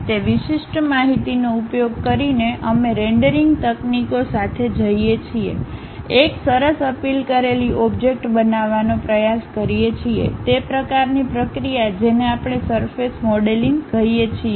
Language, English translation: Gujarati, Using those discrete information, we go with rendering techniques, try to construct a nice appealed object; that kind of process what we call surface modelling